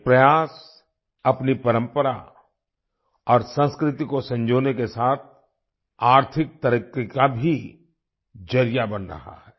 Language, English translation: Hindi, Along with preserving our tradition and culture, this effort is also becoming a means of economic progress